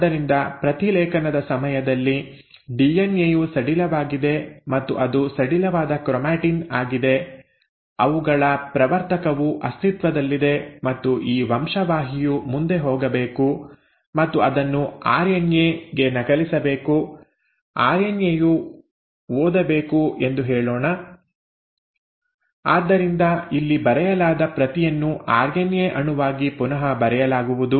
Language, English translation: Kannada, So at the time of transcription the DNA is loose and it is loose chromatin, their promoter is present and let us say this gene has to pass on and it has to be copied into an RNA, read by the RNA, so the script which is written here is going to be rewritten into an RNA molecule